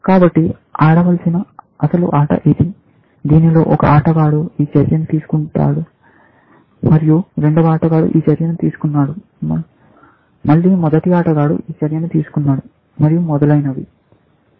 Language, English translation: Telugu, So, this is the game, which is a, it is the actual game played, says that one player made this move, and second player made this move, and the first player made this move, and so on